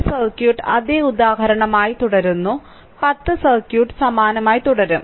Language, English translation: Malayalam, So, a circuit remain same example 10 circuit remain same only